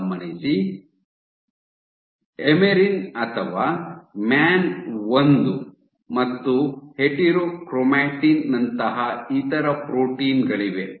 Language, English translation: Kannada, And that is where you have other proteins like emerin or MAN1 as well as heterochromatin